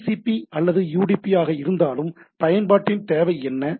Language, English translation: Tamil, So, whether TCP or UDP, again, what is the requirement of the application